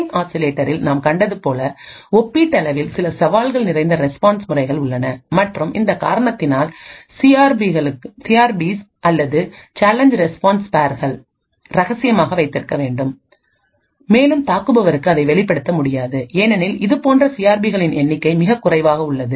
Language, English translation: Tamil, There are comparatively few challenge response patterns as we have seen in the ring oscillator and because of this reason the CRPs or the Challenge Response Pairs have to be kept secret and cannot be exposed to the attacker because the number of such CRPs are very less